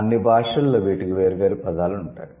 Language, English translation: Telugu, So, all languages will have different words for that